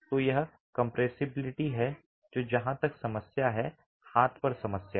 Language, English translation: Hindi, So it's the compressibility that matters as far as the problem on hand is concerned